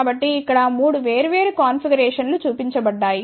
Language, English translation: Telugu, So, here 3 different configurations are shown over here